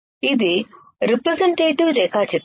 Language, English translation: Telugu, This is the representative diagram